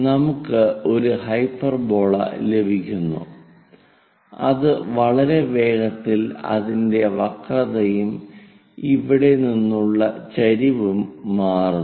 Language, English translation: Malayalam, Now, join these points, hyperbola isvery fastly changing its curvature and also the slope from here